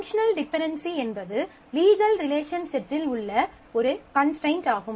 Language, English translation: Tamil, A functional dependency is a constraint on the set of legal relation